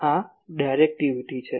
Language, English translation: Gujarati, So, directivity is these